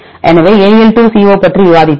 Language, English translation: Tamil, So, we discussed about AL2CO